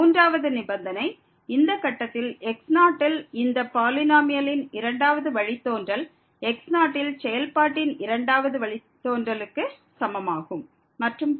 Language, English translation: Tamil, The third condition the second derivative of this polynomial at this point is equal to the second derivative of the function at the and so on